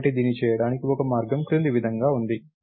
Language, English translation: Telugu, So, one way to do that is as follows